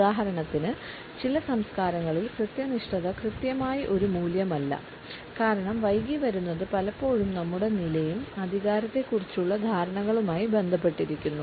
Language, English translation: Malayalam, In certain cultures for example, punctuality is not exactly a value because late coming is often associated with our status and perceptions of power